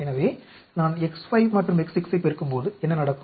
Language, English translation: Tamil, What happens when I multiply X 5,X 6